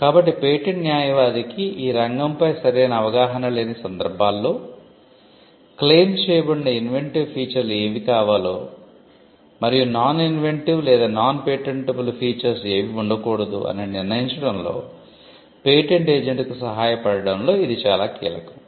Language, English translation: Telugu, So, in cases where the patent attorney does not have a fair understanding of the field, then this will be critical in helping the patent agent to determine what should be the inventive features that are claimed, and what are the non inventive or non patentable features that should not figure in the claim